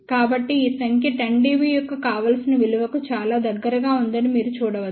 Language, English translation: Telugu, So, you can see that this number is very close to that desired value of 10 dB